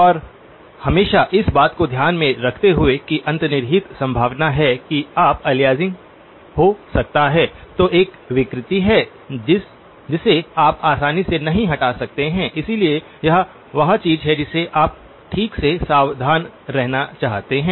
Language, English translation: Hindi, And always keeping in mind that there is an underlying possibility that you might run into aliasing which is a distortion that you cannot remove easily, so that is something that you just want to be careful about okay